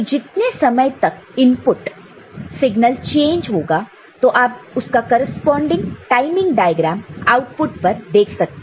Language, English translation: Hindi, So, depending on how long this input signal is changed you will see you will see a corresponding timing diagram at the output